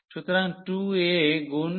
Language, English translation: Bengali, So, 2 a into a